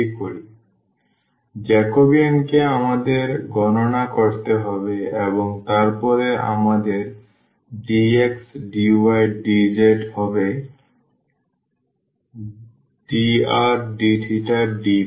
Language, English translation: Bengali, So, that Jacobian we need to compute and then our dx dy dz will become dr d theta and d phi